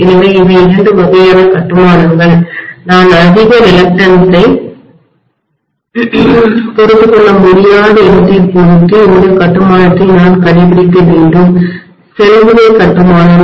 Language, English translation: Tamil, So these are two types of construction depending upon where I cannot tolerate more reluctance I have to adopt this construction, shell type construction, right